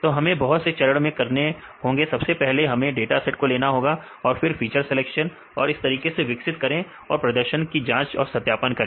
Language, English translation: Hindi, So, various steps we have to do, first we have to do take the dataset and then feature selection and develop the method and assess the performance and validate